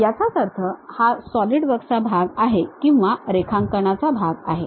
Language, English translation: Marathi, It means that Solidworks part or it is part of part the drawing